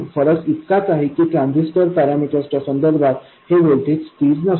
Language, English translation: Marathi, The only difference is that this voltage is not constant with respect to transistor parameters